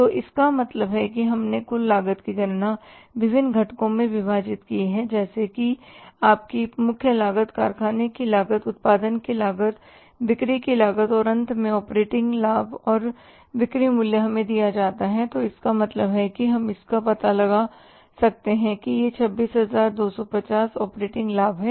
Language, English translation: Hindi, So it means we have calculated the total cost by dividing it into different components like your prime cost, factory cost of production, cost of sales and finally the operating profit and the sales value is given to us so it means we could find out that this is the 26,250 is the operating profit